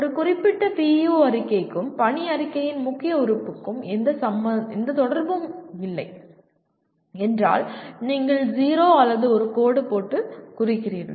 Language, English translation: Tamil, If there is no correlation between a particular PEO statement and the key element of the mission statement you can put a 0 or a dash